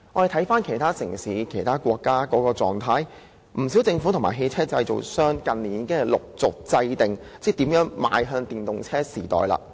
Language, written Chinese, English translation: Cantonese, 在其他城市和國家，不少政府和汽車製造商在近年已陸續制訂措施邁向電動車時代。, In recent years many governments and vehicle manufacturers in other cities and countries have formulated measures to prepare for the EV era